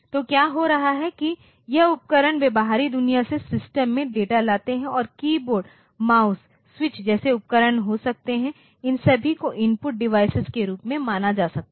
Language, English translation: Hindi, So, what is happening is that this devices they bring data into the system from the outside world and there can be devices like keyboard, mouse, switch, all these they can be treated as input device